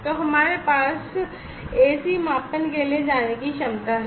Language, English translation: Hindi, So, we have the capability to go for AC measurements